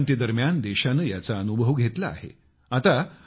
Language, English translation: Marathi, The country has experienced it during the white revolution